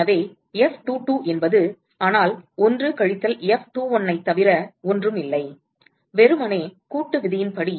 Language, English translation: Tamil, So, F22 is nothing, but 1 minus F21, simply by summation rule